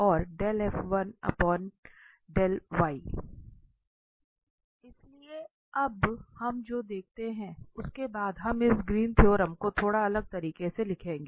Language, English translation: Hindi, So, having this what we observe now, we will rewrite this Greens theorem in a slightly different way